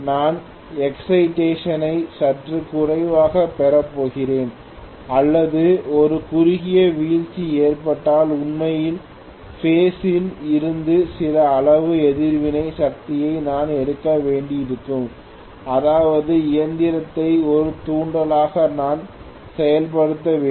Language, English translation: Tamil, And if I am going to have the excitation slightly less or there is a short fall then I might have to draw some amount of reactive power from actually the grid which means I will have to make the machine function as an inductance